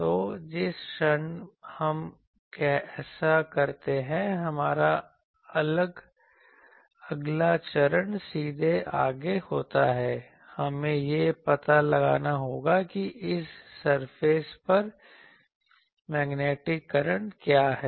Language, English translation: Hindi, So, the moment we do this, our next step is straightforward we will have to find what is the magnetic current for this surface magnetic current